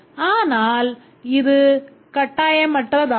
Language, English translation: Tamil, So, this is optional